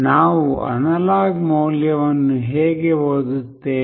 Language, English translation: Kannada, How do we read the analog value